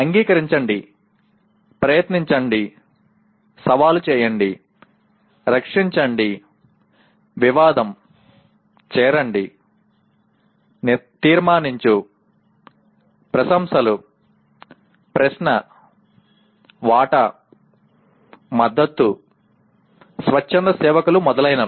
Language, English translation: Telugu, Accept, attempt, challenge, defend, dispute, join, judge, praise, question, share, support, volunteer etc